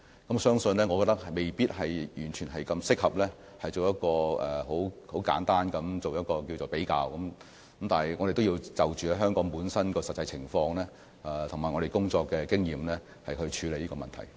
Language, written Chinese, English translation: Cantonese, 我覺得未必完全適合作出很簡單的比較，我們要按香港本身的實際情況及我們的工作經驗，處理這個問題。, I think that it may not be fully appropriate to make simple comparisons . We should handle this issue based on the actual conditions of Hong Kong and our work experience